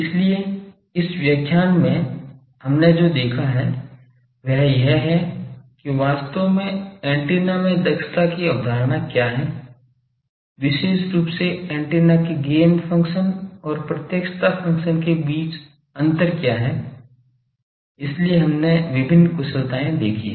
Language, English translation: Hindi, So, in this lecture what we have seen is that: what is actually the concept of efficiency in antennas, particularly what is the certain difference between gain function and directivity function of the antennas; so there we have seen various efficiencies